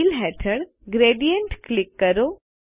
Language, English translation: Gujarati, Under Fill, click Gradient